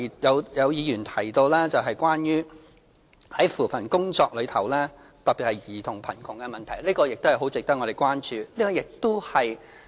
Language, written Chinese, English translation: Cantonese, 有議員提到其他的扶貧工作，特別是兒童貧窮的問題，這方面亦很值得我們關注。, Some Members have mentioned other poverty alleviation initiatives . In particular the problem of child poverty warrants our attention